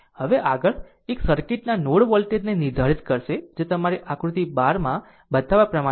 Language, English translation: Gujarati, Now, next one is determine the node voltage of the circuit as shown in figure your 12 that 3